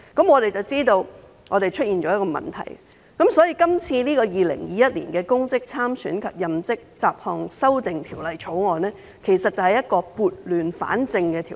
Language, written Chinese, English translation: Cantonese, 我們知道出現問題，所以提出《2021年公職條例草案》以撥亂反正。, Knowing that problems exist the Public Offices Bill 2021 the Bill was introduced to put things right